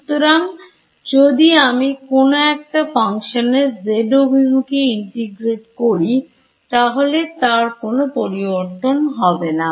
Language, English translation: Bengali, So, if I integrate along the z direction for a function that does not change what will I have get